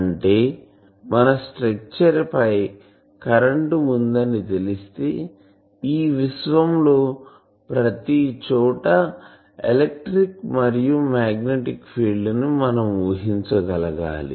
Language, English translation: Telugu, That means, given if we know the field if we know the current on the structure we should be able to predict what is the electric and magnetic field everywhere in this universe